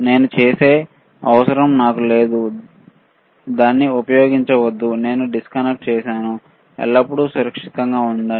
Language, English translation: Telugu, I do not need it I do not use it I just disconnected, always be safe, right